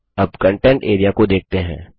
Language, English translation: Hindi, Finally, lets look at the Content area